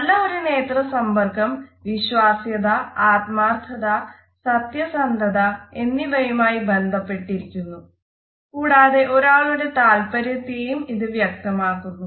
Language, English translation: Malayalam, A positive eye contact is related with credibility honesty trustworthiness and it also shows a certain level of interest